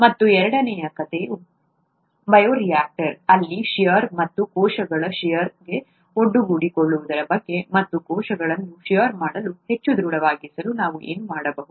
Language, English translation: Kannada, And the second story was about shear, shear, in a bioreactor and the cells being exposed to shear, and what could we do to make the cells more robust to shear,